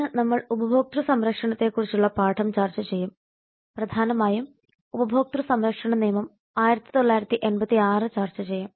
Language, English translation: Malayalam, today we will discuss the lesson on customer protection and will mainly discuss the consume protection act 1986